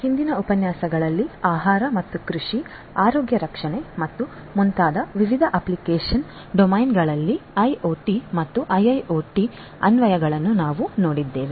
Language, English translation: Kannada, In the previous lectures, we have seen the applications of IoT and IIoT in different application domains such as food and agriculture, healthcare and so on